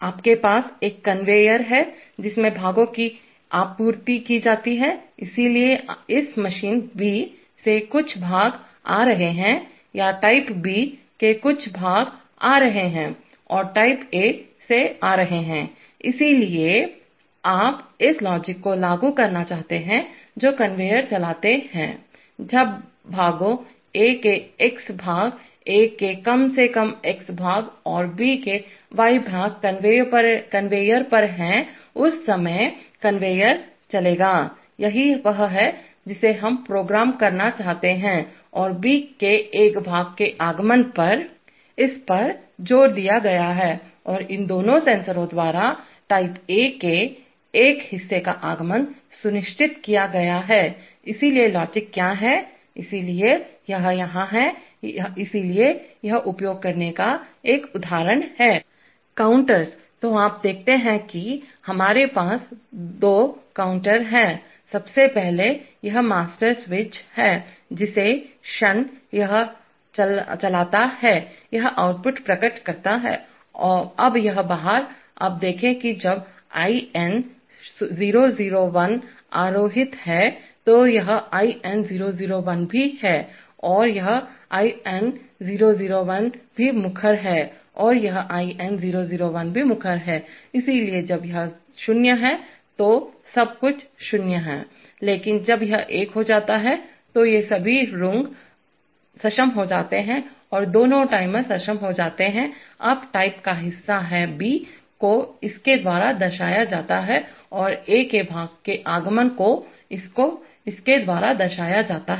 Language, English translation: Hindi, You have a conveyor into which parts are supplied, so parts are coming from either this machine B or parts of type B are coming and parts of type A are coming, so you want to implement this logic, that run conveyor, when parts, x parts of A, at least x parts of A and y parts of B are on the conveyor, at that time the conveyor will run, this is what we want to program and the arrival of a part of type B is asserted by this and arrival of a part of type A is asserted by these two sensors, so what is the logic, so here is it, so this is an example of using Counters, so you see that, we have two counters, first of all this is the master switch, the moment it goes on, this output is asserted, now this out, now see that when IN001 is asserted, this IN001 also, is also, is asserted and this IN001 is also asserted and this IN001 is also asserted, so when this is 0 everything is 0 but when this goes one, then all these rungs are enabled and both the timers are enabled, now the arrival of part of type B is signified by this and arrival of the part of type A is signified by this